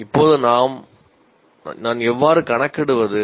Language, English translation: Tamil, Now, how do I compute